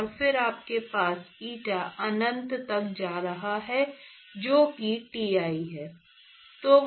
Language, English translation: Hindi, And then you have eta going to infinity that is Ti